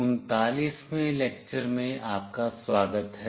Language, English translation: Hindi, Welcome to lecture 39